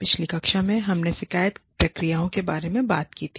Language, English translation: Hindi, In the previous class, we talked about, grievance procedures